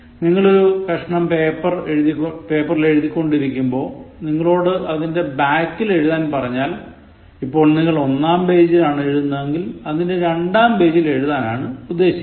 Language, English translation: Malayalam, So, when you are writing on a piece of paper and you are asked to write on the back, it exactly means front side, back side, page number 1, 2